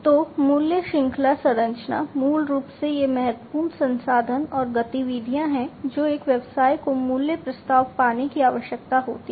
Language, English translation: Hindi, So, value chain structure basically these are the key resources and the activities that a business requires to create the value proposition